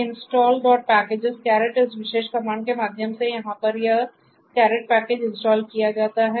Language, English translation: Hindi, So, install dot packages caret will install this caret package over here through this particular comment